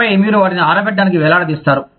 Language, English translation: Telugu, And then, you would hang them out to dry